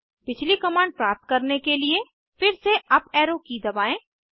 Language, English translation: Hindi, Now press up arrow key again to get the previous command